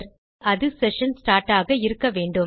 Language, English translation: Tamil, So, it must be session start